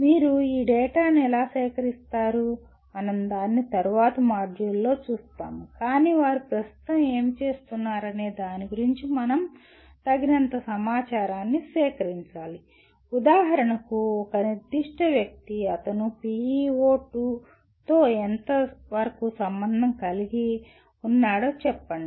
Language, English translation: Telugu, How do you collect this data, that we will see it in a later module but we must gather enough information about what they are doing at present to say whether for example a specific individual, to what extent he is associated with PEO2 let us say